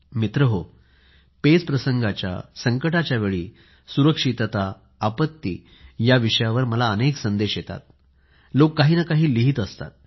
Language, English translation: Marathi, Friends, safety in the times of crises, disasters are topics on which many messages keep coming in people keep writing to me